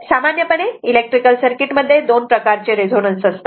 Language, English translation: Marathi, Generally 2 types of resonance in the electric circuits